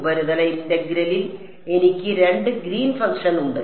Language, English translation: Malayalam, In the surface integral, I have two Green’s function